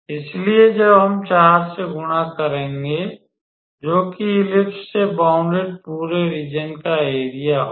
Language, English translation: Hindi, So, when we multiply by 4 that will be the required area of the whole region bounded by the ellipse